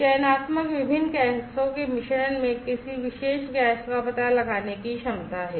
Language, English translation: Hindi, Selectivity is the ability to detect a particular gas in a mixture of different gases